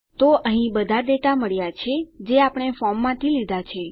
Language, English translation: Gujarati, So we have got all the data here that we have extracted from our form